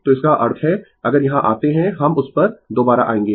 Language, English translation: Hindi, So, that means, if you come here we will come to that again